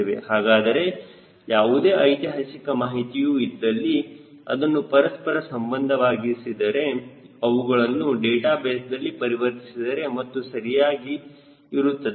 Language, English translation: Kannada, so whatever historical data is there, when they have been correlated, when they have been converted into database, this physics was always there right